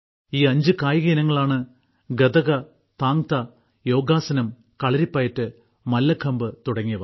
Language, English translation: Malayalam, These five sports are Gatka, Thang Ta, Yogasan, Kalaripayattu and Mallakhamb